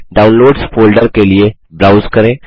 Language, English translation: Hindi, Browse to Downloads folder